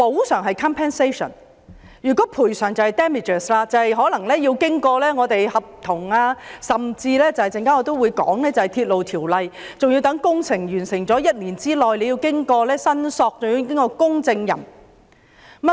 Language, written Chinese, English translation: Cantonese, 若要申索賠償，就可能涉及合約甚至我稍後提及的《鐵路條例》，還要待工程完成後1年內提出申索及由公證行核實。, If damages are to be claimed contracts or even the Railways Ordinance which I will talk about later on will be involved . Damages must be claimed within one year upon the completion of the works and verified by a loss adjuster